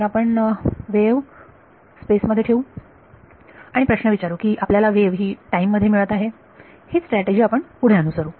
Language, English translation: Marathi, So, we will keep the wave in space and we will question whether we are getting a wave in time that is the strategy that we will follow